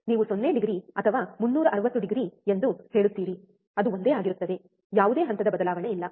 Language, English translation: Kannada, You says is 0 degree or 360 degree it is the same thing so, there is no phase shift